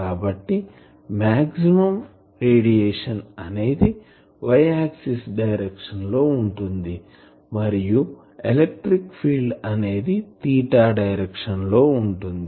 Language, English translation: Telugu, So, the direction of maximum radiation was y axis in this direction and electric field that is in the theta direction